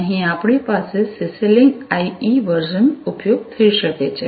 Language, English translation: Gujarati, So, here we could have the CC link IE version being used